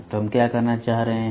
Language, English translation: Hindi, So, what we are trying to say